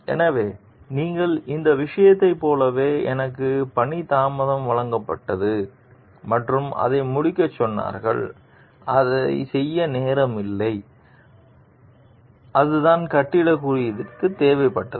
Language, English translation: Tamil, So, you this thing so like I was given the assignment late and told to finish it there was no time to do it and that is what the building code required